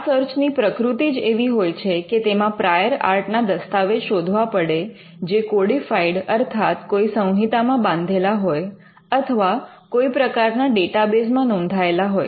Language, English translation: Gujarati, The very nature of search involves looking for prior art documents which are codified, or which are recorded in some form of a database